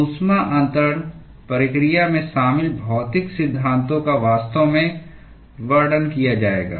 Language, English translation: Hindi, The physical principles involved in the heat transfer process will actually be described